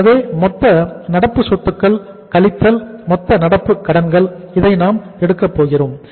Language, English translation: Tamil, So it means total current assets minus total current liabilities we will be taking